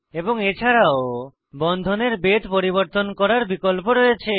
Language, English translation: Bengali, And also has options to change the thickness of the bonds